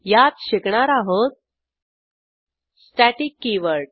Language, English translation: Marathi, In this tutorial we will learn, Static keyoword